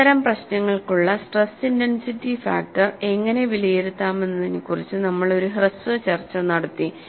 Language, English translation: Malayalam, Then, we had a brief discussion on how to evaluate stress intensity factor for a variety of problems